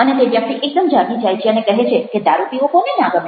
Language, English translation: Gujarati, and this person wakes up, actually, and says that who would like a drink